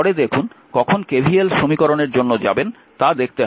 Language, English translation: Bengali, Later when see when we will go for KVL equation we will see that, right